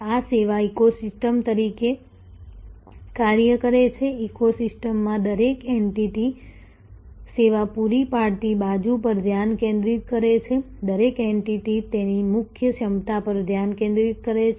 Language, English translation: Gujarati, These act as service ecosystems, each entity in the eco system focuses on the service providing side, each entity focuses on its core competence